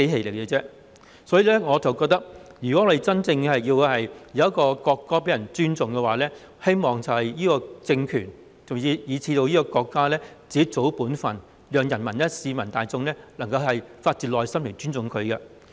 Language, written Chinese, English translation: Cantonese, 有鑒於此，我認為，如果希望人民真正尊重國歌，這個政權以至這個國家應該做好自己的本分，令人民、市民大眾能夠發自內心地尊重它。, In view of this I think if they really want people to genuinely respect the national anthem the regime as well as the State should do their part properly so that the people and the general public will respect it wholeheartedly